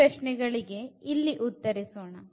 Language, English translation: Kannada, So, we will answer these questions here